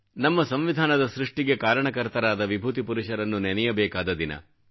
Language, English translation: Kannada, A day to remember those great personalities who drafted our Constitution